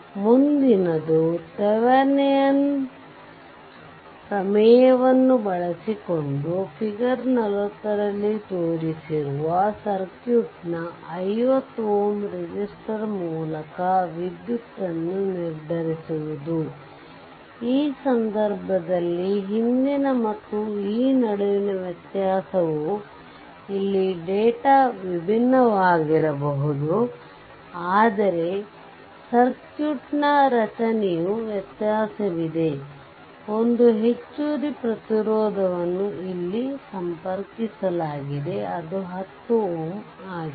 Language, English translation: Kannada, So, next is you determine the current through 50 ohm resistor of the circuit, shown in figure 40 using Thevenin’s theorem, in this case difference between the previous one and this one that here data may be different, but structure of the circuit in difference that one extra resistance is connected here that is 10 ohm right